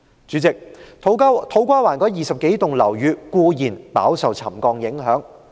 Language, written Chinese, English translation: Cantonese, 主席，土瓜灣那20多幢樓宇固然飽受沉降影響。, President the some 20 buildings in To Kwa Wan are undoubtedly affected by the settlement